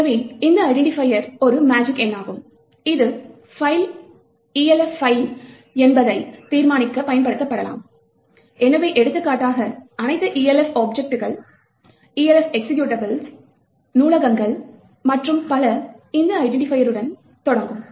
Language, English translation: Tamil, So, this identifier is a magic number which can be used to determine whether the file is an Elf file, so for example all Elf objects, Elf executables, libraries and so on would start off with this particular identifier